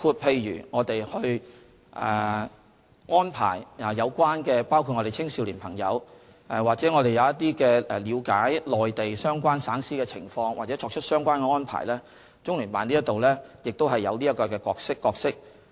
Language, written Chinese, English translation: Cantonese, 例如我們安排青少年朋友了解內地相關省市的情況或作出一些相關的安排，中聯辦在這方面亦有角色。, For example CPGLO also plays a role in our arrangements for enabling young people in Hong Kong to get to know the various provinces and cities in the Mainland